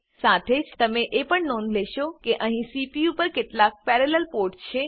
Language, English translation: Gujarati, You will also notice that there are some parallel ports on the CPU